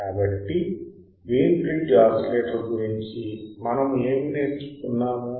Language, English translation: Telugu, So, what will learnt about the Wein bridge oscillator